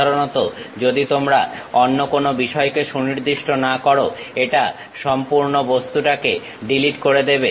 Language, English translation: Bengali, Usually if you are not specifying any other things, it deletes entire object